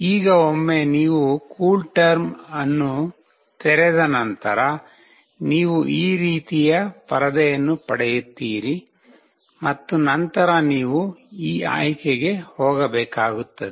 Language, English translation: Kannada, Now once you open the CoolTerm you will get a screen like this and then you have to go to this option